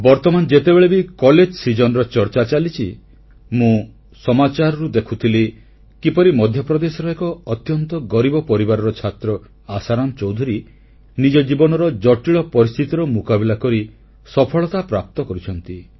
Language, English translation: Odia, Referring to the college season reminds me of someone I saw in the News recently… how Asharam Choudhury a student from an extremely poor family in Madhya Pradesh overcame life's many challenges to achieve success